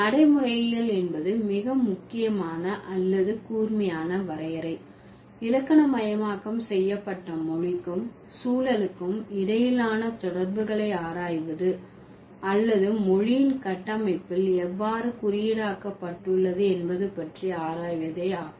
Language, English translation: Tamil, So, the most conceptual or the most, the sharpest definition of pragmatics would be to study the relation between language and context that are grammaticalized or it is how it has been encoded in the structure of language